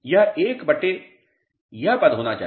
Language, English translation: Hindi, This should be 1 upon this term